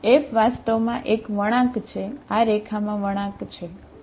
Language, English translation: Gujarati, F is actually a curve, curve in this line, okay